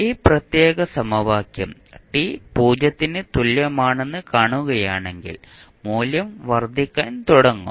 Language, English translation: Malayalam, So, what will happen if you see this particular equation at time t is equal to 0 the value will start increasing